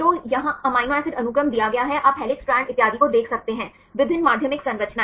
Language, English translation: Hindi, So, here given the amino acid sequence you can see the helix strands and so on, different secondary structures